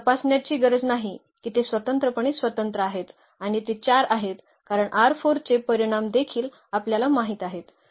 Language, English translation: Marathi, So, we do not have to check we have to check that they are linearly independent and they are 4 in number because, the dimension of R 4 also we know